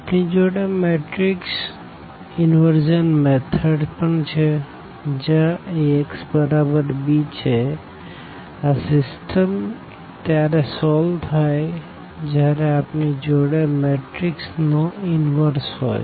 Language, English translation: Gujarati, We have also the matrix inversion method where this Ax is equal to b this system we can solve once we have the inverse of the matrix